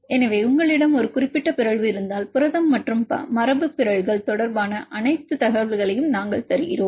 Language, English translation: Tamil, So, if you have a particular mutation we give all the information regarding the protein and the mutants